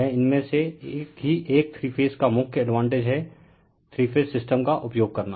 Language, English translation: Hindi, This is one of the main advantages of three phase using three phase system right